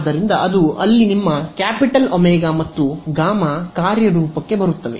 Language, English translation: Kannada, So, that is where your capital omega and gamma come into play ok